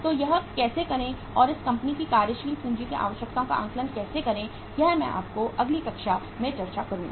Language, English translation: Hindi, So how to do this and how to assess the working capital requirements of this company that I will discuss with you in the next class